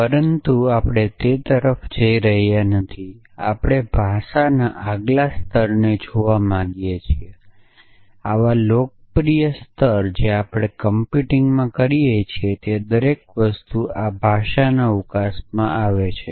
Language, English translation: Gujarati, But we are not going to that accent we want to look at the next most the next level of language which is in fact, such popular level that almost everything that we do in computing falls within the scope of this language